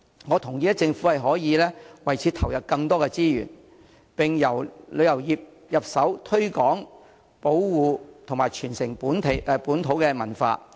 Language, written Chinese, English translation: Cantonese, 我同意政府可以為此投入更多資源，並由旅遊業入手推廣、保護和傳承本土文化。, I agree that the Government can allocate more resources to this area and use the tourism industry as the starting point to promote protect and transmit local culture